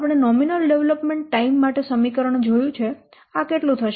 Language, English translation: Gujarati, So you see we will get the value of nominal development time is equal to 2